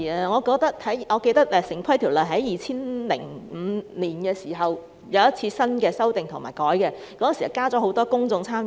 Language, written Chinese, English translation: Cantonese, 我記得《城市規劃條例》在2005年曾作出修訂，當時增設很多公眾參與。, I remember that the Town Planning Ordinance was revised in 2005 with the inclusion of a lot of public engagement